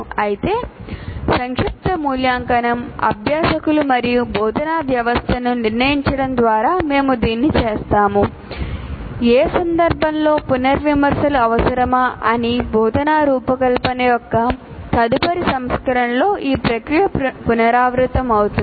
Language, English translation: Telugu, Whereas summative evaluation, we do it by probing the learners and the instructional system to decide whether revisions are necessary in which case the process would be repeated with the next version of instructions